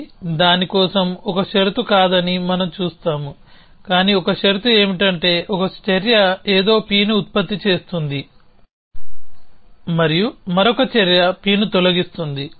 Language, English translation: Telugu, So, we will see this is not a condition for that, but one condition is that the one action is producing something P and the other action is deleting P